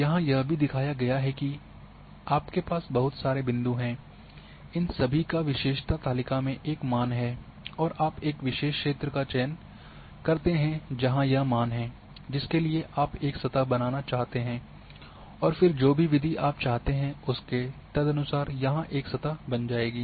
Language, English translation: Hindi, Also here shown here that now you are having lot of points are there they all they will have a values in your attribute table and you choose a particular field where the values are there for which you want to create a surface and then whatever the method you will choose accordingly a surface will be created